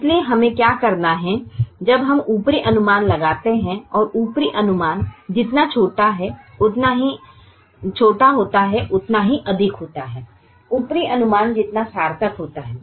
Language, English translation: Hindi, so what we have to do is, when we try and get an upper estimate, the smaller the upper estimate is, the more meaningful the upper estimate is